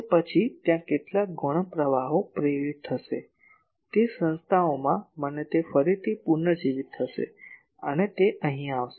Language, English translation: Gujarati, Then that there will be some secondary currents induced, in those bodies and that will again reradiate and that will come here